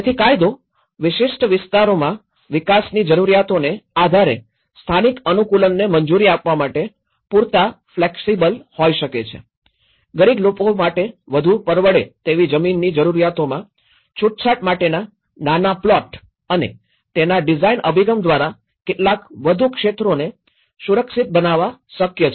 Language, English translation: Gujarati, So, the legislation which could be flexible enough to allow for local adaptation based on the development needs in specific areas, smaller plots for relaxation of requirements for more affordable land for the poor and possible to make some more areas safe through design approach